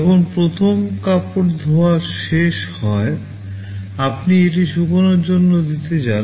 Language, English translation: Bengali, When the first cloth washing is finished, you want to give it for drying